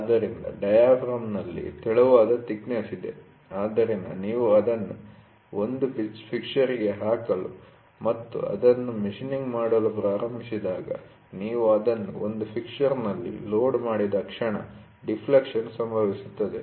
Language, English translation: Kannada, So, in diaphragm they are all thin thickness, so when you try to put it in a fixture and start machining it, moment you load it in a fixture, the deflection happens